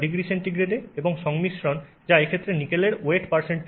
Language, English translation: Bengali, Temperature in degrees centigrade and composition, which is in this case weight percent nickel